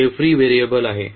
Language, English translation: Marathi, So, this is free variable